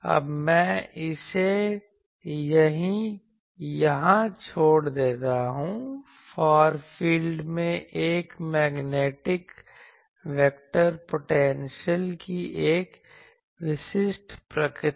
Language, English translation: Hindi, Now, I leave it here; a typical nature of a magnetic vector potential in the far field